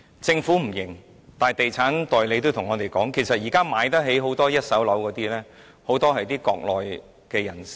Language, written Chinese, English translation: Cantonese, 政府不承認，但地產代理告訴我們，現時有能力購買一手樓的人，很多是國內人士。, The Government does not admit it but estate agents have told us that many of those who can afford to buy first - hand properties nowadays are Mainland people